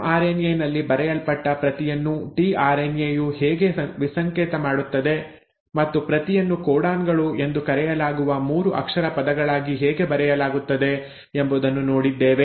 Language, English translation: Kannada, We saw how mRNA, the script which is written on mRNA is decoded by the tRNA and the script is written into 3 letter words which are called as the codons